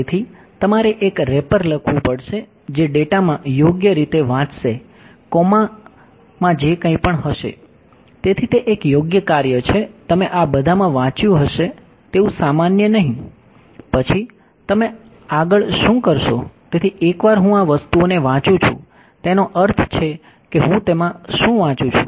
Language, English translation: Gujarati, So, you have to write wrapper that will correctly read in the data in a pass the coma whatever all of that